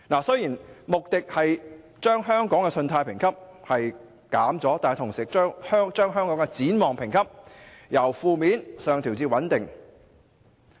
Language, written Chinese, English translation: Cantonese, 雖然穆迪下調了香港的信貸評級，但同時把香港的展望評級由"負面"上調至"穩定"。, Although Moodys downgraded its credit rating on Hong Kong it upgraded our rating outlook from negative to stable at the same time